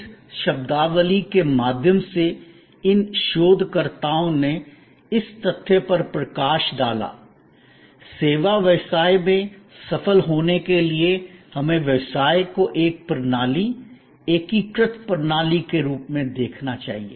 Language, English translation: Hindi, These researchers through this terminology highlighted the fact; that in service business to succeed, we must look at the business as a system, integrated system